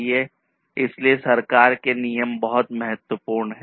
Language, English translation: Hindi, So, government regulations are very important